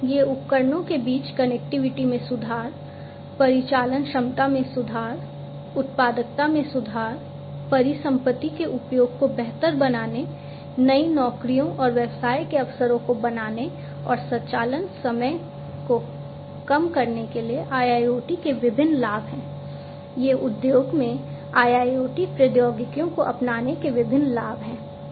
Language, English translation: Hindi, So, these are different benefits of IIoT improving connectivity among devices, improving operational efficiency, improving productivity, optimizing asset utilization, creating new job,s and business opportunities, and reducing operation time, these are the different benefits of the adoption of IIoT technologies in the industry